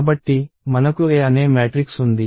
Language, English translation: Telugu, So, we have a matrix called A